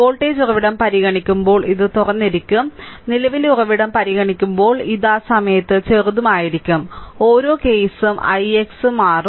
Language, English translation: Malayalam, When you consider the voltage source this will be open, when will consider current source this will be shorted at that time each case i x will change